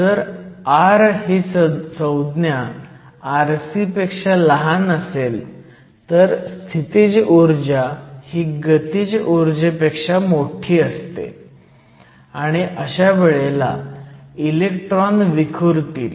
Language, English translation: Marathi, If r is less than r c, if r less than r c here, then the potential energy is greater than the kinetic energy, and your electron will scatter